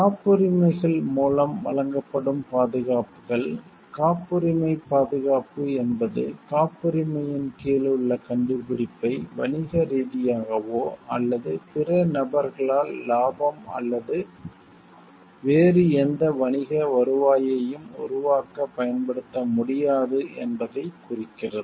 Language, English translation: Tamil, The protections that are offered by patents are; the patent protection it implies that the invention under patents cannot be commercially or otherwise used by other persons for generating profits or any other commercial returns